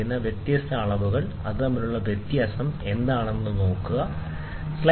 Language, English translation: Malayalam, So, you see what is the difference you get for varying measurements